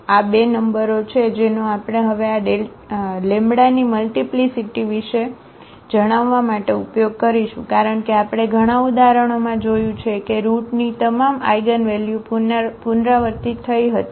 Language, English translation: Gujarati, So, these are the two numbers which we will now use for telling about the multiplicity of this lambda, because we have seen in several examples the characteristic, roots all the eigenvalues were repeated